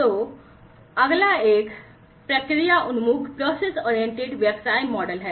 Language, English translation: Hindi, So, the next one is the process oriented business model